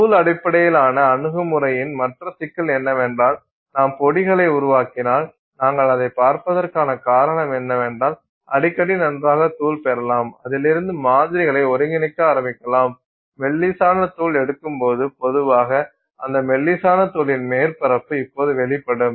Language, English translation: Tamil, The other problem with a powder based approach if you take you know create powders because and the reason we look at it is because you can often get fine powder and from that you can start consolidating the samples is that when you take the fine powder typically the surface of that fine powder is now exposed so in fact invariably when you have a fine powder it usually means surfaces oxidized